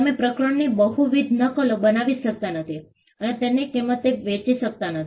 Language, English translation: Gujarati, You cannot make multiple copies of the chapter and sell it for a price